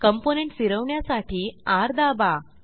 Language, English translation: Marathi, To rotate component, Press R